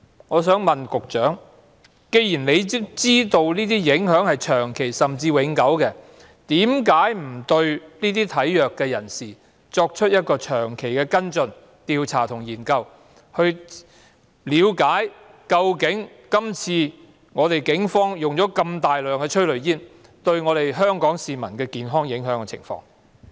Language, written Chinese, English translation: Cantonese, 我想問局長，既然他知道這些影響是長期甚至永久的，為何當局不對體弱人士作出長期跟進、調查和研究，以了解今次警方大量使用催淚煙對香港市民的健康有甚麼影響？, I would like to ask the Secretary one question . As he knows that the impact is long - term and even permanent why have the authorities not done any long - term follow - up work investigation and studies to understand the health impact on the people of Hong Kong resulting from the heavy use of tear gas by the Police this time around?